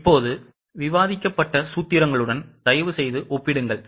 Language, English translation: Tamil, Please compare it with the formulas which were discussed just now